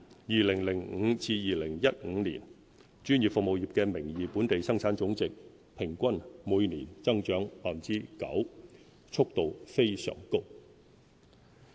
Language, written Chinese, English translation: Cantonese, 2005年至2015年，專業服務業的名義本地生產總值平均每年增長 9.0%， 速度非常高。, Between 2005 and 2015 our professional services grew by an annual average of 9.0 % in nominal Gross Domestic Product a very fast rate